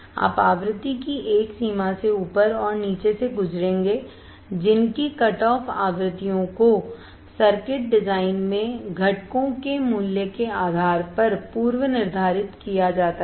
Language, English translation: Hindi, You will pass above and below a range of frequency whose cutoff frequencies are predetermined depending on the value of components in the circuit design